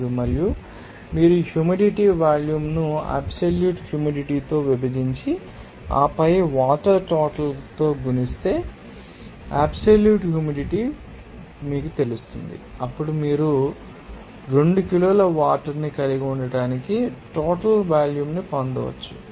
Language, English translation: Telugu, 855 and we know that absolute humidity if you divide this humid volume by these you know that absolute humidity and then multiply by this you know the amount of water, then you can get the total volume of you to know, here that is they are to contain that 2 kg of water there so, it will be amount 160